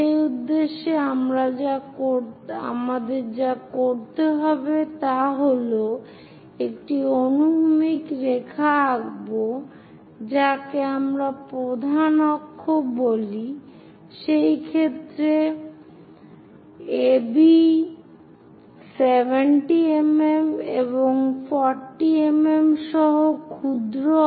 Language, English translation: Bengali, Further purpose what we have to do is draw a horizontal line, which we call major axis, in this case, AB 70 mm and minor axis with 40 mm